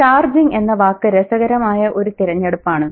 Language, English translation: Malayalam, The charging is an interesting choice of word